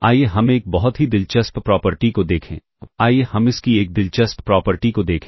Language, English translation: Hindi, Let us look at a very interesting property, let us look at an interesting property of this